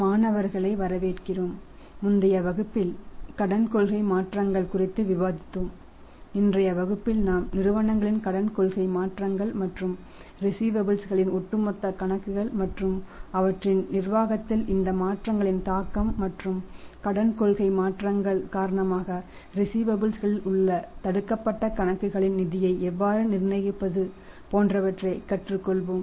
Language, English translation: Tamil, Welcome students so in the previous class we discussed something about the credit policy changes and in today's class we will learn about the credit policy changes by the firms and the impact of these changes on the overall accounts receivable and their management and then say how to manage the funds blocked in the accounts receivables because of the credit policy changes